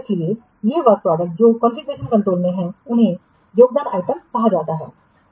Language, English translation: Hindi, So, these work products which are under configuration control, they are termed as configuration items